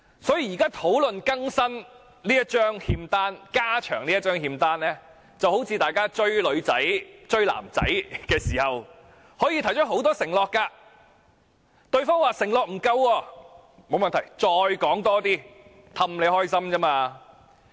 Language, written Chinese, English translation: Cantonese, 所以，議會現時討論更新、加長這張欠單，就好像大家"追女仔"、"追男仔"時，可以提出很多承諾；如果對方說承諾不夠，沒問題，再加多些哄他們開心。, Hence when this Council discusses updating HKPSG or increasing new debts under this IOU it is like making promises to boyfriends or girlfriends when dating . If the promises are considered not good enough it is alright to make even more promises so as to appease them